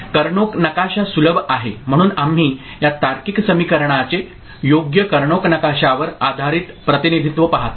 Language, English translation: Marathi, Karnaugh map is handy, so we look at the Karnaugh map based representation of this logic equation right